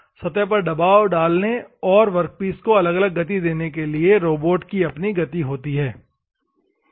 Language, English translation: Hindi, The robot has its own motion to do to apply pressure against the surface as well as, to give different motions to the workpiece, different motions to the workpiece